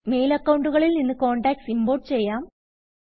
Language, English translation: Malayalam, Import contacts from other mail accounts